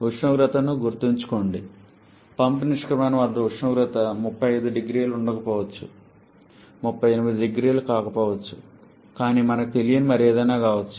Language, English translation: Telugu, Remember the temperature which is not given, temperature at the exit of the pump may not be 35 0C may not be 38 0C also it can be anything else we do not know that information